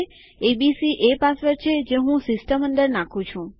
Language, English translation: Gujarati, abc is the password Im inputting to the system